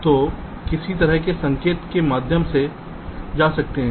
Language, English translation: Hindi, so what kind of signal can go through